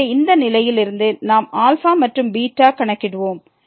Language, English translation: Tamil, So, out of this condition we will compute alpha and beta